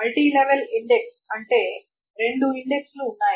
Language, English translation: Telugu, So multi level index means there are two indexes